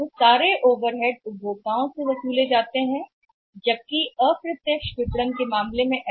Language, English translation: Hindi, And all those overheads have to be passed on to the consumers where is it may not be possible in case of the indirect marketing